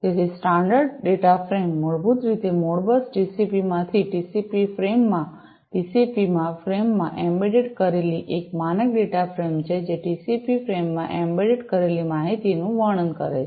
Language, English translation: Gujarati, So, the standard data frame is basically embedded in Modbus TCP into a TCP frame into a TCP frame a standard data frame, which carries the information is embedded into it into the TCP frame